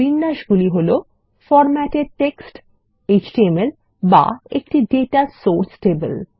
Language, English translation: Bengali, Possible formats are Formatted text, HTML or a Data Source Table